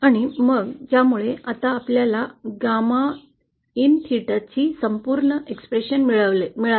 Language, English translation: Marathi, And then with this we now obtain a complete expression for gamma in theta